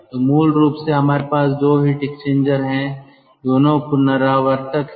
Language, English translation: Hindi, so basically we are having two heat exchanger, not a single heat exchanger